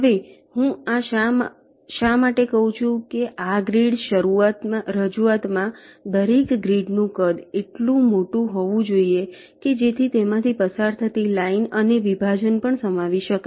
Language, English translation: Gujarati, now why i am saying is that in this grid representation, the size of each grid, this size of the each grid, should be large enough so that it can contain the line that is running through it and also the separation